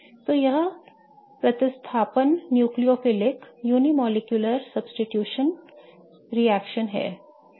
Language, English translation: Hindi, So, this is substitution nucleophilic unimolecular reaction